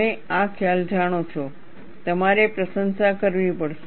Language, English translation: Gujarati, You know, this concept, you will have to appreciate